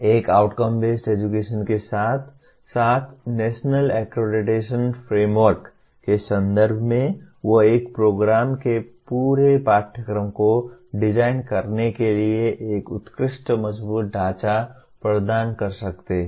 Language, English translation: Hindi, One can, in the context of outcome based education as well as the national accreditation framework they provide an excellent robust framework for designing the entire curriculum of a program